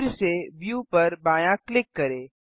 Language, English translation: Hindi, Again, Left click view